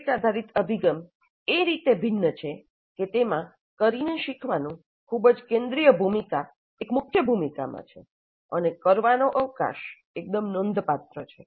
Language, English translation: Gujarati, The project based approach is different in that it accords a very central role, a key role to learning by doing and the scope of doing is quite substantial